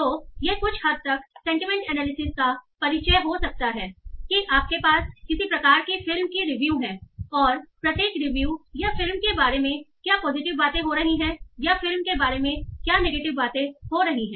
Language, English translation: Hindi, So this is what can be some sort of introduction to sentiment analysis that you have some sort of movie reviews and each review is either saying, okay, this movie is very positive, talking positively about the movie or negatively about the movie